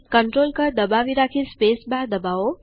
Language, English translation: Gujarati, Hold the CONTROL key and hit the space bar